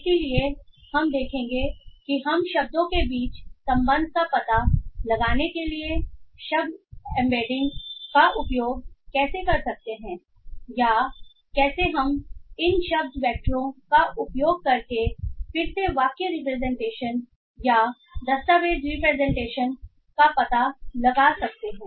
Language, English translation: Hindi, So, we will see how we can use word embeddings to find out relation between words or how we can find out again sentence representations or document representation using this word vectors